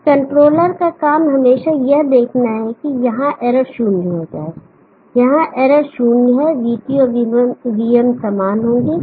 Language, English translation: Hindi, The job of this controller is to always see that the error here becomes zero, the error here is zero VT will be same as VM